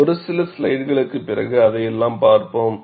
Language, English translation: Tamil, We will see all that, after a few slides